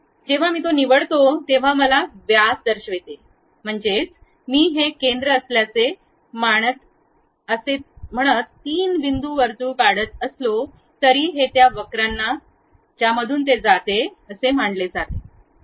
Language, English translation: Marathi, When I pick that, it immediately shows me diameter, that means, even though I am going to draw three point circle saying that this is supposed to be the center, this is supposed to the curve which supposed to pass through that